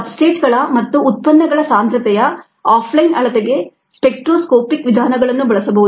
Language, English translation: Kannada, spectroscopic methods can be used for off line measurement of concentration of substrates and products